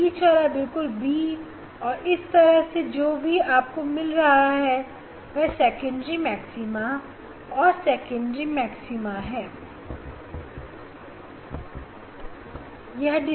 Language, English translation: Hindi, this central one is very b one and this side one side whatever you are getting that is the secondary maxima and between this secondary maxima or central maxima secondary maxima you are getting no light